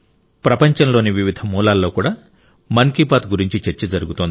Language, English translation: Telugu, There is a discussion on 'Mann Ki Baat' in different corners of the world too